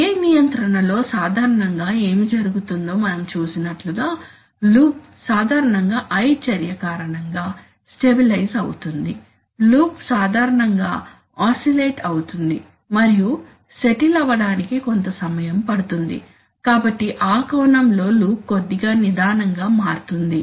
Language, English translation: Telugu, Now as we have seen that what happens generally in PI control especially is that the loop, generally stabilizes because of the I action, the loop generally tends to oscillate and it takes some time to settle, so in that sense the loop becomes a little sluggish